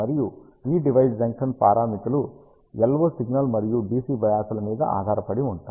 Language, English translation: Telugu, And these device junction parameters depend on the LO signal and the D C bias applied